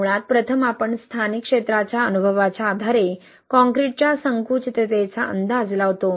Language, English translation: Marathi, Basically first we anticipate the shrinkage of concrete, right, based on the experience of the local area